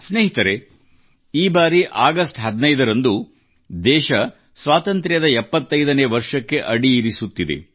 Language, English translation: Kannada, Friends, this time on the 15th of August, the country is entering her 75th year of Independence